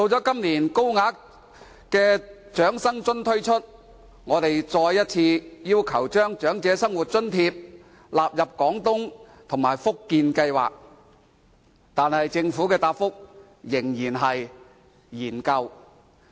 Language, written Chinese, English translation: Cantonese, 今年，高額長生津推出時，我們再次要求把長生津納入廣東計劃及福建計劃，但政府的答覆仍然是"研究"。, This year at the launch of the Higher OALA we reiterated our request to include the OALA in the Guangdong Scheme and the Fujian Scheme . Still the Government replied that our request would be considered